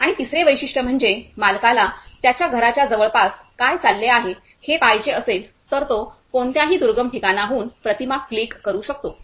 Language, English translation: Marathi, And the third feature is if the owner wants to see what is going on near nearby his house, he can click an image from a remote place